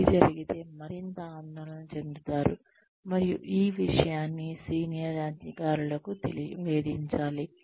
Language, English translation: Telugu, If Y happens, one could be more worried, and the matter should be reported to the senior authorities